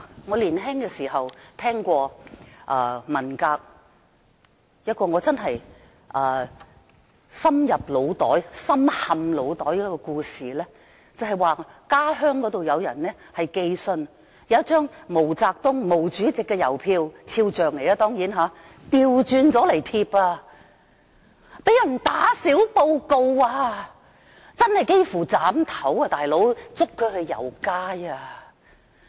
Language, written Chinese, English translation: Cantonese, 我年輕時聽過一個令我深陷腦袋的文革故事，話說某人的家鄉有人在寄信時，將一張印有毛主席毛澤東肖像的郵票倒轉來貼，竟然被人打小報告，真的差點被斬頭，被捉去遊街。, When I was young I once heard a story about the Cultural Revolution which has been etched very deeply in my mind . The story happened in somebodys hometown where a man when posting a letter had glued upside down a stamp with Chairman MAO or MAO Zedongs portrait printed on it . Then someone tattled on him and he almost had his head chopped off and he was paraded through the streets for his wrongdoing